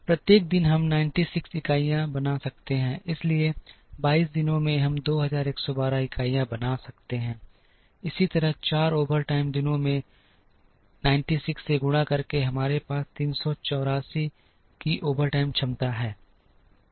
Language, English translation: Hindi, So, each day we can make 96 units, so in 22 days we can make 2112 units, similarly in 4 overtime days multiplied by 96 we have overtime capacity of 384